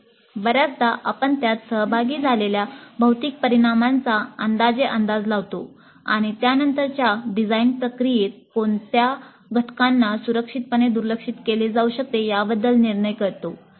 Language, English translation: Marathi, So often we make rough estimates of the physical quantities involved and make a judgment as to which parameters can be safely ignored in the subsequent design process